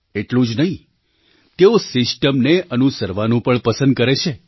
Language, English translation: Gujarati, Not just that, they prefer to follow the system